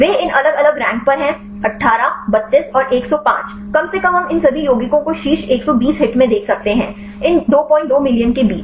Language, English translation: Hindi, They are at these different ranks 18, 32 and 105 at least we can see all these compounds in the top 120 hits; among these 2